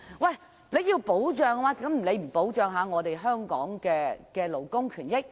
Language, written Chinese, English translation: Cantonese, 如果要保障，為何不先保障香港勞工的權益？, Should protection not be provided to Hong Kong labour first?